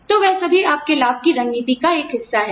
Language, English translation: Hindi, So, all that forms, a part of your benefits strategy